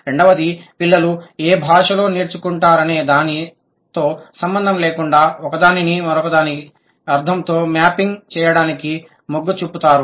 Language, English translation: Telugu, Second, the children, irrespective of whatever language they are acquiring, they tend to go for a one to one mapping of the meaning